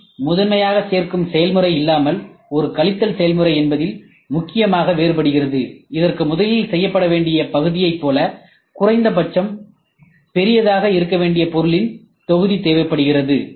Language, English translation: Tamil, CNC differs mainly in that it is primarily a subtractive rather than additive process, requires a block of material that must be at least as big as the part made that is to be made first